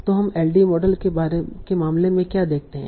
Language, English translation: Hindi, So, so what do we see in the case of LDA models